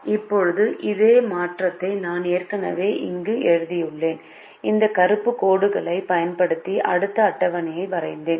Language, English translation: Tamil, now we proceed now, and i have written the same alteration here already and i have drawn the next table using this black lines